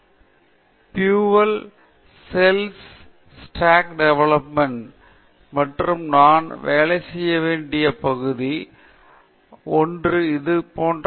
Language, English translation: Tamil, So, for example, a better way to present this exact same slide where it says, you know, fuel cells stack development and that is an area I have work on is to put up something like this